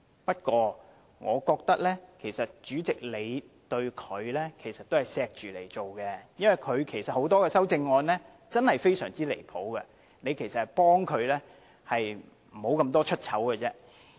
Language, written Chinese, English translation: Cantonese, 不過，我覺得主席你對他仍存有愛護之心，因為他很多項修正案實在很離譜，你其實是幫了他，不致頻頻出醜而已。, But I think this can actually show that you still care for him in a way . Many of his amendments are simply absurd so your disapproval can actually help him appear stupid less frequently